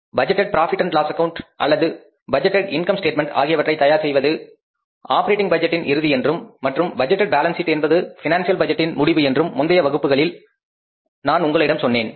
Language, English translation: Tamil, I told you in the previous class that the final end of the operating budget is preparing the budgeted profit and loss account or the budgeted income statement and the end of the financial budget is preparing the budgeted balance sheet